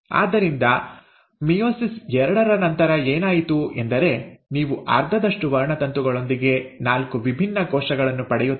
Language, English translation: Kannada, So what has happened is after meiosis two, you end up getting four different cells